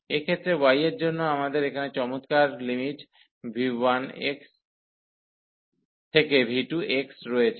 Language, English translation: Bengali, So, in this case the y we have the nice limits here v 1 x to v 2 x